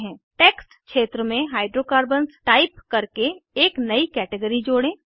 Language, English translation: Hindi, Lets add a new Category, by typing Hydrocarbons in the text field